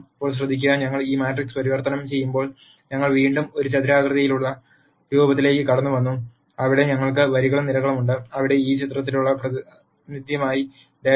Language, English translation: Malayalam, Now notice that while we converted this matrix we have again got into a rectangular form, where we have rows and columns, where data is filled as a representation for this picture